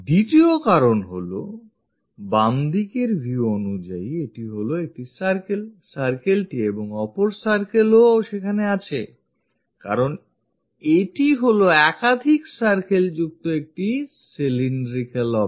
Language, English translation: Bengali, Second, because this is a circle on the left side view, a circle and another circle because this is a cylindrical object having circles